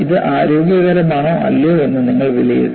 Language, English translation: Malayalam, You have to assess whether it is healthy or not